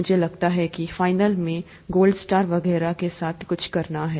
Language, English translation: Hindi, I think the final one has something to do with the gold star and so on